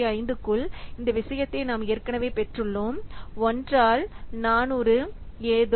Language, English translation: Tamil, 5 that we have already got this thing one by 400 something so this is equal to 0